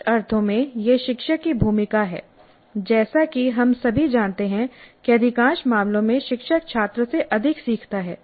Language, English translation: Hindi, So in some sense it is the role of the teacher and as we all know in most of the cases the teacher learns more than the student